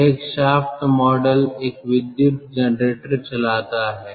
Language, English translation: Hindi, this single shaft model drives an electric generator